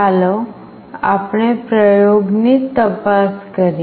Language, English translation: Gujarati, Let us look into the experiment